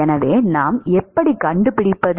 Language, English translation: Tamil, So, that is what we are going to find out